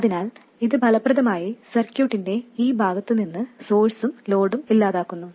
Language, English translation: Malayalam, So effectively this cuts off both the source and the load from this part of the circuit